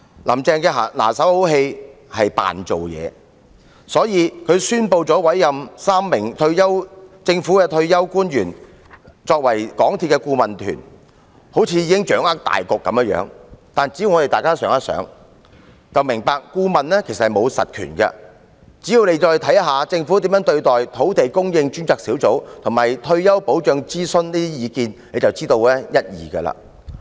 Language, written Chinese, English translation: Cantonese, "林鄭"的拿手好戲是假裝工作，所以她宣布委任3名政府退休官員作為港鐵公司的顧問團，猶如已掌握大局，但大家只要想一想便明白，顧問其實沒有實權，再看看政府如何對待土地供應專責小組及退休保障諮詢的意見便可知一二。, This is why she has appointed three retired government officials to form an Expert Adviser Team for MTRCL . It seems that she has the whole situation under control but if we think deeper we would understand that the advisers do not have any real power . Looking at how the advice of the Task Force on Land Supply and the opinion gauged from the consultation on retirement protection were treated by the Government may give us some insights